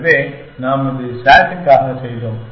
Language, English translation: Tamil, So, we did this for SAT